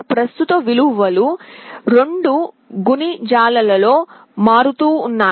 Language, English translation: Telugu, The current values will be changing in multiples of 2